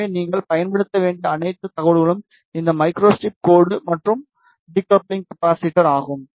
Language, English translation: Tamil, So, the all information that you need to use is this these micro strip line, and the decoupling capacitor